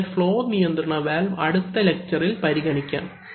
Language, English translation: Malayalam, So, we will consider the flow control valve in the next lecture